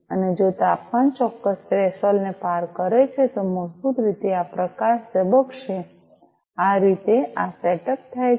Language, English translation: Gujarati, And if the temperature crosses a certain threshold, then, basically, this light is going to blink, this is how this setup is done